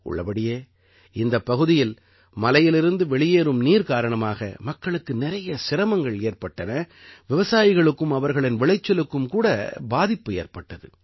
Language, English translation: Tamil, In fact, in this area, people had a lot of problems because of the water flowing down from the mountain; farmers and their crops also suffered losses